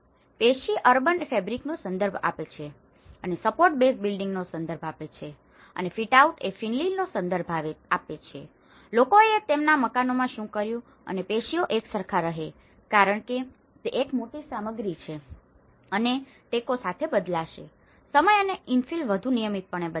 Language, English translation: Gujarati, The tissue refers to the urban fabric and the support refers to the base building and the fitout refers to the infill, what the people have done in their houses and the tissue tends to remain the same because itís a larger content and the supports will change with time and infill will change more regularly